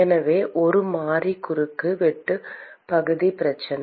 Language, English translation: Tamil, And so, it is a variable cross sectional area problem